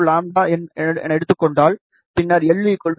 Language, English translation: Tamil, 02 lambda, then l will be 0